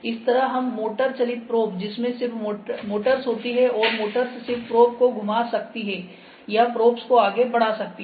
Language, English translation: Hindi, similarly we have motorized probes motorized probes in which this is just we have the motors and motors can just rotate the probe or move the probe